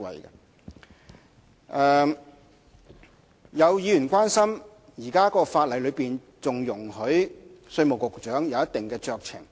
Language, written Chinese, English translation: Cantonese, 有議員關心，現時條例草案仍然容許稅務局局長享有一定酌情權。, Some Members are concerned that the Bill is still giving certain discretionary power to the Commissioner